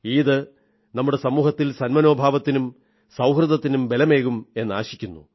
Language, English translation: Malayalam, I hope that the festival of Eid will further strengthen the bonds of harmony in our society